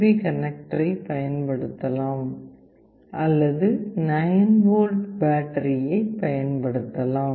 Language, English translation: Tamil, You can use the USB connector to power it, or you can also use a 9 volt battery to power it